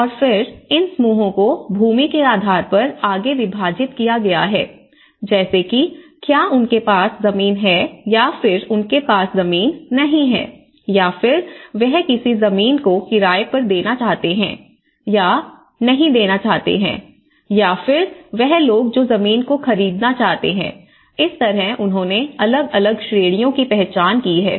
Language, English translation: Hindi, And then these groups has been further subdivided based on, land tenure whether they have land or without land or intend to rent or those without who intend to buy land you know, so, this is how the different categories they have identified